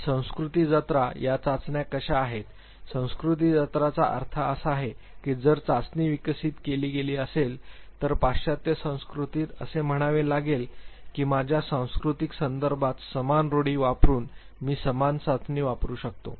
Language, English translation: Marathi, And how culture fair are these tests, culture fair means if the test was developed validated in say a Western culture how much is it a possibility that I can used the same test using the same norm in my cultural context